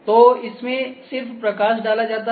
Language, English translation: Hindi, So, it just put the light